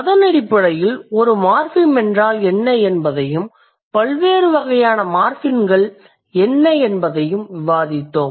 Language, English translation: Tamil, So, on that basis we did discuss what is a morphem and then what are the different types of morphemes